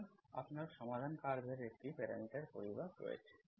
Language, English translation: Bengali, So you have a parameter, family of solution curves